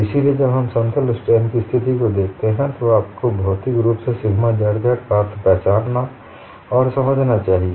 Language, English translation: Hindi, So, when you look at the plane strain situation, you should recognize and understand physically the meaning of sigma zz